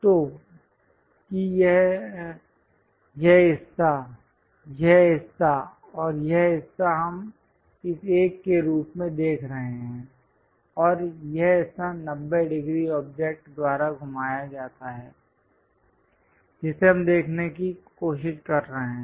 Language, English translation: Hindi, So, that this part is this part and this part we are looking as this one and this part is that is rotated by 90 degrees object, that one what we are trying to look at